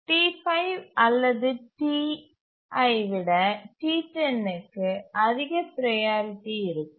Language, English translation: Tamil, So, T10 will have higher priority than T5 or T1